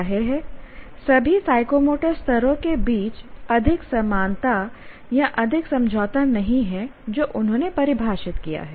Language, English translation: Hindi, So obviously there is not much of, not too much of agreement between or correspondence between all the three psychomotor levels that they have defined